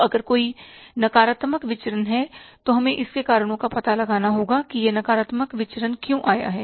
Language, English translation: Hindi, Now if there is a negative variance we will have to find out the reasons for that why this negative variance has come up